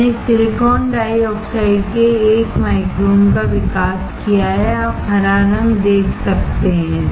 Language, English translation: Hindi, I have grown 1 micron of silicon dioxide; you can see greenish colour